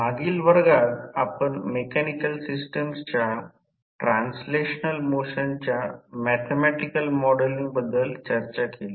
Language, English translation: Marathi, In last class we discussed about the mathematical modelling of translational motion of mechanical system